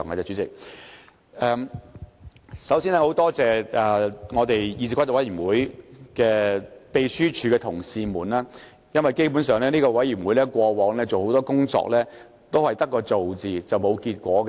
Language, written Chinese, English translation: Cantonese, 主席，首先，感謝參與議事規則委員會工作的秘書處同事，因為這個委員會過往做的很多工作都是白做，並無結果。, President first of all I would like to thank the Secretariat staff involving in the work of CRoP for most of the efforts made by CRoP in the past were ended in vain